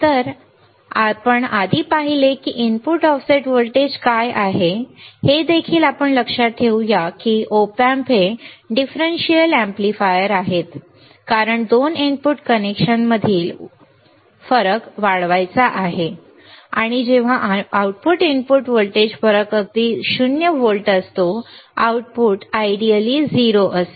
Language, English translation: Marathi, So, we have seen what is a input offset voltage earlier also let us see remember that Op Amp are differential amplifier as supposed to amplify the difference in voltage between the 2 input connections and nothing more when the output input voltage difference is exactly 0 volts we would ideally except output to be 0 right